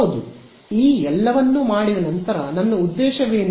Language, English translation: Kannada, Yeah, after having done all of this what was my objective